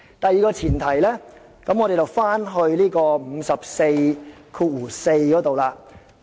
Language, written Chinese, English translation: Cantonese, 第二個前提，我們說回第544條。, Here comes the second premise . Let us come back to RoP 544